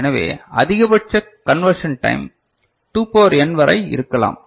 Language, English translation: Tamil, So, the maximum conversion time ok, can be up to 2 to the power n right